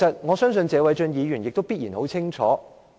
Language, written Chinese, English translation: Cantonese, 我相信謝偉俊議員必然很清楚。, I trust Mr Paul TSE must know it full well